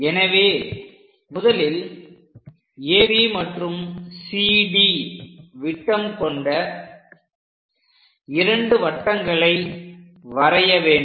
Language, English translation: Tamil, So, first step, we have to draw two circles with AB and CD as diameters